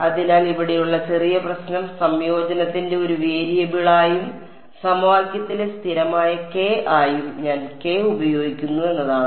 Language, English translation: Malayalam, So, the slight the slight problem over here is that I am using k as both a variable of integration and the constant k in the equation